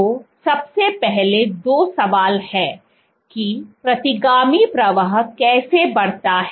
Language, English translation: Hindi, So, first of all there are two questions that, how does retrograde flow increased